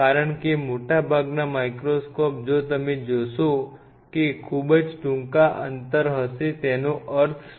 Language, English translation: Gujarati, Because most of the microscope if you see will have a very short working distance what does that mean